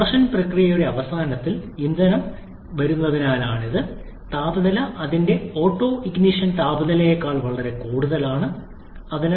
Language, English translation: Malayalam, Fuel is injected at the end of compression process as the fuel comes in, invariably the temperature is well above its autoignition temperature and therefore the fuel auto ignites